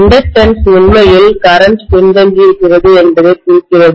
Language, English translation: Tamil, The inductance actually represents the fact that the current is lagging behind